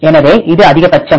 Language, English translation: Tamil, So, this is a maximum